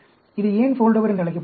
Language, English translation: Tamil, Why it is called a Foldover